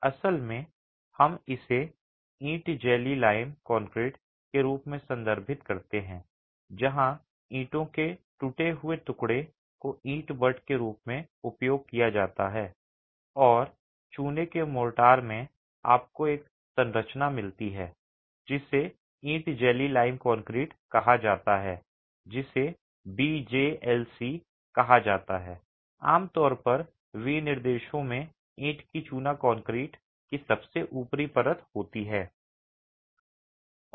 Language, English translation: Hindi, Basically we refer to this as brick jelly lime concrete where broken pieces of bricks are used as brick baths and in lime mortar you get a composition called brick jelly lime concrete referred to as BJLC typically in specifications